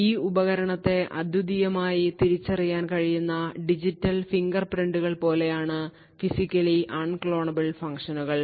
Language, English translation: Malayalam, So, essentially this Physically Unclonable Functions are something like digital fingerprints which can uniquely identify a device